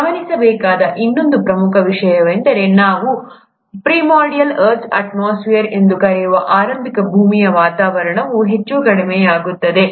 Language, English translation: Kannada, The other important thing to note is that the initial earth’s atmosphere, which is what we call as the primordial earth’s atmosphere, was highly reducing